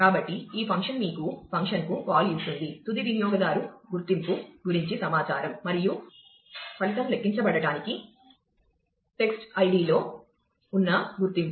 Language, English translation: Telugu, So, what this function gives you call to the function gives you is an information about the end user identity, and that identity has to match, the identity that exist in the text ID for the result to be computed